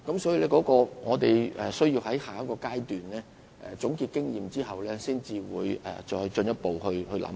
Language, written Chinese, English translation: Cantonese, 所以，我們須在下一階段總結經驗後，才會再作進一步考慮。, Hence further consideration will only be made after we have summed up experience in the next stage